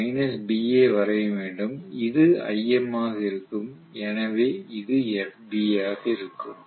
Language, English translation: Tamil, So I have to draw minus B along this which will be Im itself, so this will be FB right